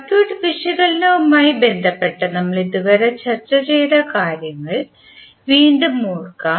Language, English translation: Malayalam, Let us recap what we discussed till now related to circuit analysis